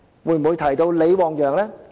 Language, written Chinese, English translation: Cantonese, 會否提及李旺陽？, Will we mention LI Wangyang?